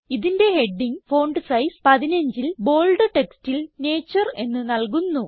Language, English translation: Malayalam, We will give its heading as Nature in bold text with font size 15